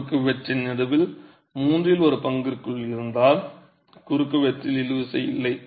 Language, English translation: Tamil, If it is within the middle one third of the cross section then there is no tension in the cross section